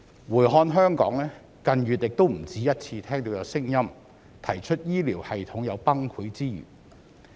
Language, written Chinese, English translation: Cantonese, 回看香港，近月也不止一次聽到有聲音提出，香港醫療系統有崩潰之虞。, When it comes to Hong Kong we have heard more than once in recent months that the healthcare system in Hong Kong is in danger of collapse